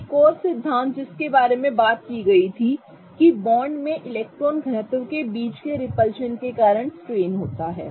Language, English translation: Hindi, There was another theory which talked about that the strain results because of repulsion between the electron density in the bonds